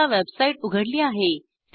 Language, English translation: Marathi, I have now opened a website